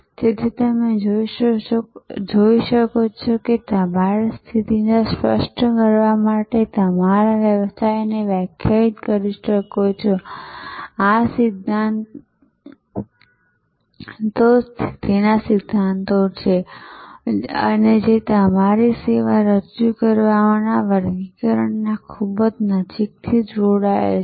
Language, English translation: Gujarati, So, you can see therefore, you can define your business to clarify your offering position, this is principles of positioning and these classifying your service offerings are very closely connected